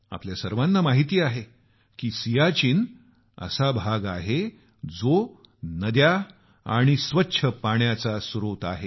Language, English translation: Marathi, We all know that Siachen as a glacier is a source of rivers and clean water